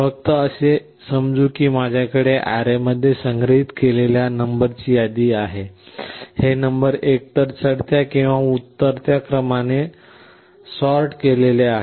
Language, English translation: Marathi, Just assume that I have a list of numbers which are stored in an array, and these numbers are sorted in either ascending or descending order